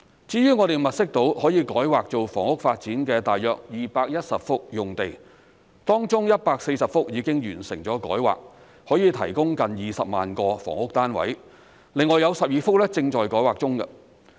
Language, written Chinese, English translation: Cantonese, 至於我們物色到可以改劃作房屋發展的大約210幅用地，當中140幅已經完成改劃，可以提供近20萬個房屋單位，另外有12幅正在改劃中。, We have identified some 210 sites which can be rezoned for housing development of which 140 sites have been rezoned to provide close to 200 000 flats while the rezoning of another 12 sites is in process